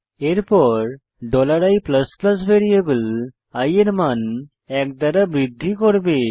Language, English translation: Bengali, Then the $i++ will increments the value of variable i by one